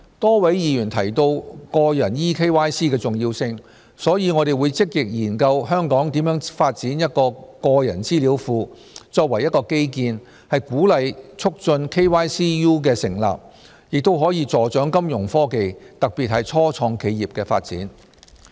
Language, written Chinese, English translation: Cantonese, 多位議員提到個人 eKYC 的重要性，所以我們會積極研究香港如何發展一個個人資料庫，作為一個基建鼓勵促進 KYCU 的成立，亦可助長金融科技，特別是初創企業的發展。, As a number of Members mentioned the importance of eKYC we will actively conduct studies on developing a database of personal data in Hong Kong as an infrastructure to encourage and facilitate the development of KYCU which can also assist the development of Fintech particularly in start - ups